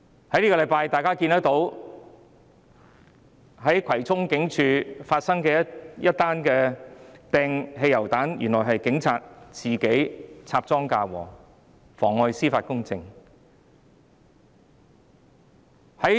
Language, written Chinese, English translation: Cantonese, 這星期大家見到在葵涌警署外發生的擲汽油彈案，原來是警察自己插贓嫁禍，妨礙司法公正。, The case of petrol bomb attack outside Kwai Chung Police Station which we noted this week turns out to be a fabrication by a police officer perverting the course of justice